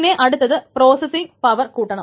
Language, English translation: Malayalam, Then increased processing power